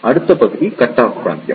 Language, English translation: Tamil, The next region is the Cut off Region